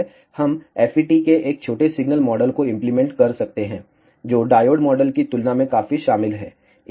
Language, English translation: Hindi, We can apply a small signal model of FET, which is quite involved compared to the diode model